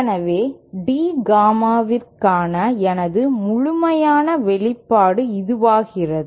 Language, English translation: Tamil, So then my complete expression for D Gamma becomes this